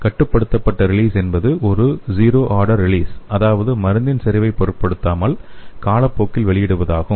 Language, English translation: Tamil, The controlled release is perfectly zero order release which means the drug released over time is irrespective of concentration